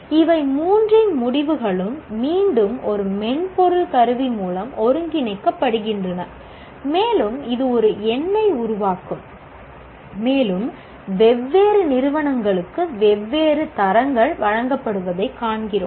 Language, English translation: Tamil, And the results of all the three are integrated once again by a software tool and it will produce a number and we will see that different grades are given to different institutions